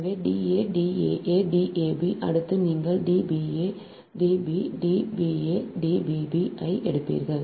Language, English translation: Tamil, next you will take d b a dash, d b dash, d b a dash, d b b dash